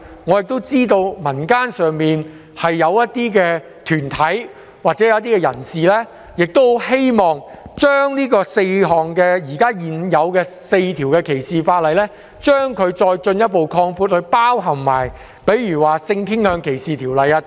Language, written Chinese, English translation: Cantonese, 我知道民間一些團體或人士希望，反歧視條例的涵蓋範圍由現時的4項條例進一步擴闊至包括性傾向歧視法例。, I know some community groups or members of the public hope that the coverage of the anti - discrimination ordinances could be further extended beyond the four existing ordinances so as to include the legislation against sexual orientation discrimination